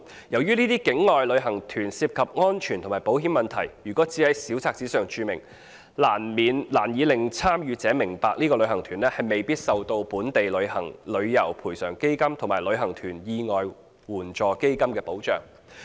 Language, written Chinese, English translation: Cantonese, 由於這些境外旅行團涉及安全和保險問題，如果只在小冊子上註明，難以令參與者明白該旅行團未必受到本地旅遊業賠償基金及旅行團意外緊急援助基金計劃保障。, As outbound tour groups will be involved in security and insurance issues the mere provision of such information in a brochure can hardly enable the participants to understand that the tour groups may not be protected by the Travel Industry Compensation Fund and the Package Tour Accident Contingency Fund Scheme of Hong Kong